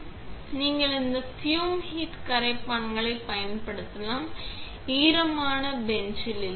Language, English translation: Tamil, So, you can use solvent in this fume hood and not in the wet bench